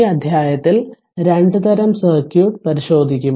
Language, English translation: Malayalam, So, in this chapter, we will examine your 2 types of circuit